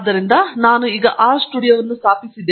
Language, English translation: Kannada, So, I have R studio installed